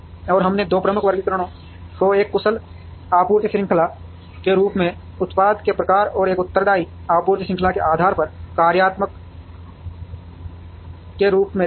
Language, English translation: Hindi, And we also saw the two major classifications as functional depending on the type of the product as an efficient supply chain, and a responsive supply chain